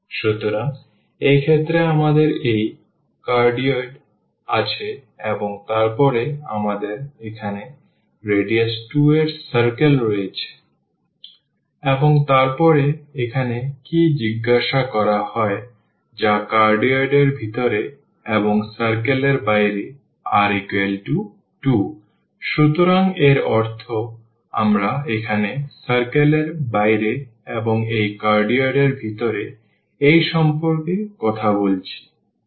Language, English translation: Bengali, So, in this case we have this cardioid and then we have the circle here of radius 2, and then what is ask here which is inside the cardioid and outside the circle r is equal to 2, so that means, we are talking about this here outside the circle and inside this cardioid